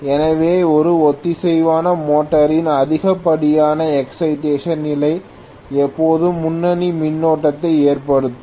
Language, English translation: Tamil, So the overexcited or excessive excitation condition of a synchronous motor will always result in leading current